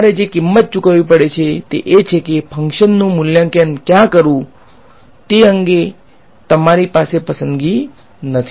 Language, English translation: Gujarati, The price that you have to pay is that you do not have choice on where to evaluate the function